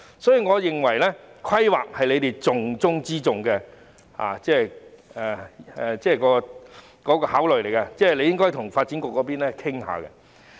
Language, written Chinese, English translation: Cantonese, 所以，我認為規劃是當局重中之重的考慮，應該與發展局商討一下。, Therefore I think planning is the most important consideration and we should discuss it with the Development Bureau